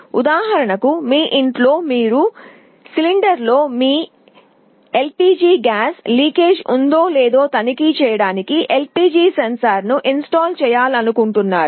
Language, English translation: Telugu, For example, in your home you want to install a sensor to check whether there is a leakage of your LPG gas in the cylinder or not